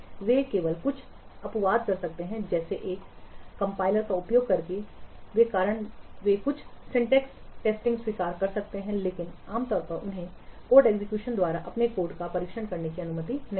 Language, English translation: Hindi, They may do only some exceptions like the accepting doing some syntax testing they may do using a compiler but normally they are not allowed to what test their code by code execution